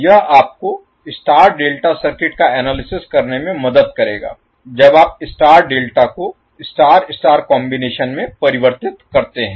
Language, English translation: Hindi, So this will help you to analyze the star delta circuit while you convert star delta into star star combination